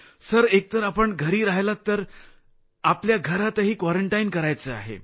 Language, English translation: Marathi, Sir, even if one stays at home, one has to stay quarantined there